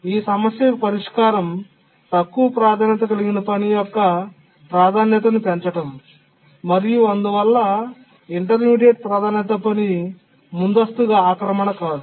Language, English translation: Telugu, So the solution here is to raise the priority of the low priority tasks so that the intermediate priority task cannot preempt it